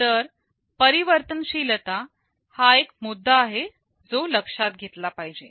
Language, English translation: Marathi, So, flexibility is also an issue that needs to be considered